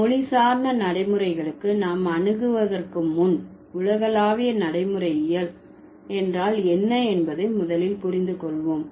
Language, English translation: Tamil, So, before we approach to language specific pragmatics, let's first understand what is universal pragmatics